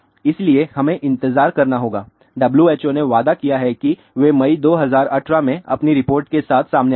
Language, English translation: Hindi, So, we have to wait, WHO has promised that they will come out with their report in may 2018